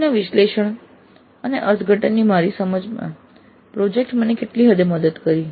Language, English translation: Gujarati, So to what extent the project work helped me in my understanding of analysis and interpretation of data